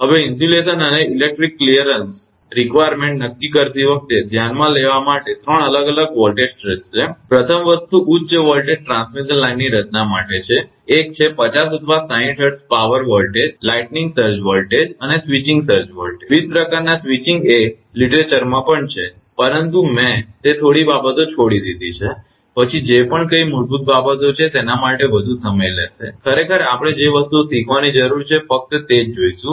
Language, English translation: Gujarati, Now there are 3 different voltage stresses to consider when determining the insulation and electrical clearances requirement first thing is for the design of high voltage transmission line, one is the 50 or 60 Hertz power voltage, lightning surge voltage, and switching surge voltage, different type of switching is there in the literature also, but I have skipped those things then it will consume more time for this what whatever basic things are there, whatever actually we need to learn those things only we will see that